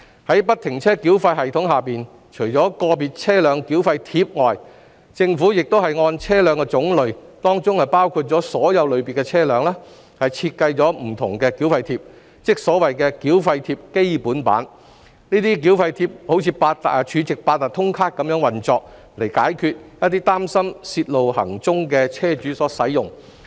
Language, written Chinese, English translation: Cantonese, 在不停車繳費系統下，除了"個別車輛繳費貼"外，政府亦按車輛種類設計了不同的繳費貼，即所謂的"繳費貼"，這些繳費貼如儲值八達通卡般運作，以供一些擔心泄露行蹤的車主使用。, Under FFTS apart from VTT the Government has also designed another toll tag which is specific to the class of the vehicle concerned ie . what is referred to as TT . These toll tags operate in a way similar to the stored - value Octopus Cards so as to address the concerns of some vehicle owners about revealing their whereabouts